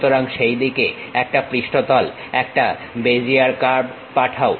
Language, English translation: Bengali, So, pass a surface a Bezier curve in that way